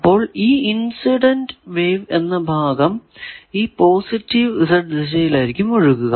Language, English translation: Malayalam, So, that incident wave part we are assuming flowing in the positive Z direction, this minus